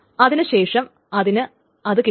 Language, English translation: Malayalam, So then it will be getting it